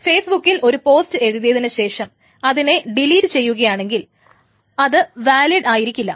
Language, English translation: Malayalam, So by the time I write a post into Facebook and I delete it, that post is no longer valid